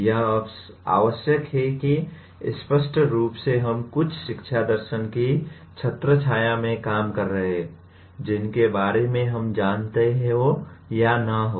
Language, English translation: Hindi, All that is necessary is that implicitly we may be operating in under some umbrella of some education philosophy which we may or may not be aware of